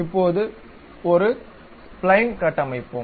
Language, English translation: Tamil, Now, let us move on to construct a Spline